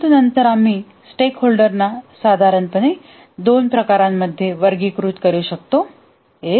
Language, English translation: Marathi, But then we can roughly categorize the stakeholders into two categories